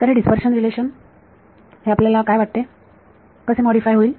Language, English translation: Marathi, So, these dispersion relation how do you think it will get modified